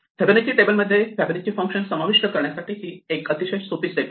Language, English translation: Marathi, This is a very easy step to incorporate into our Fibonacci table, the Fibonacci functions